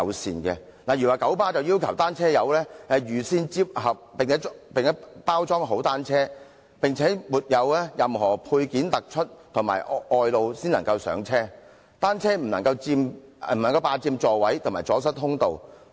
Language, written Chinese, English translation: Cantonese, 例如九龍巴士有限公司要求"單車友"預先摺合及包裝好單車，並確保沒有任何配件凸出或外露才能上車，而單車不能霸佔座位及阻塞通道。, For example the Kowloon Motor Bus Co 1933 requires cyclists to fold and properly pack their bicycles to make sure no parts stick out or are exposed before boarding; and the bicycles cannot occupy seats or obstruct passageways